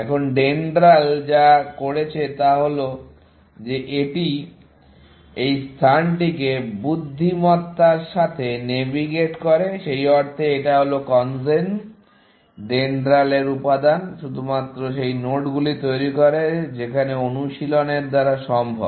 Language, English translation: Bengali, Now, what DENDRAL did is that it navigates this space intelligently, in the sense, that this CONGEN, component of DENDRAL, only generates those nodes, which are feasible in practice